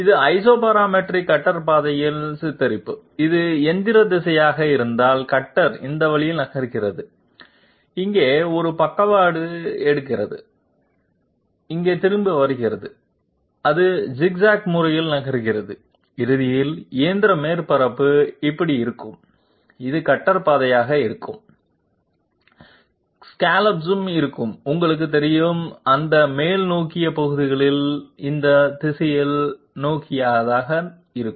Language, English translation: Tamil, This is a depiction of Isoparametric cutter path like if this is the machining direction, the cutter is moving this way, takes a sidestep here, comes back here and it is moving by zig zag method and ultimately the machine surface will look like this and this will be the cutter path, scallops will also be you know of those upraised portions will also be oriented in this direction